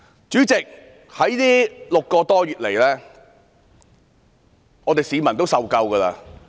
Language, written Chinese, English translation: Cantonese, 主席，這6個多月來，市民已經受夠。, President over the past six months or so members of the public have had enough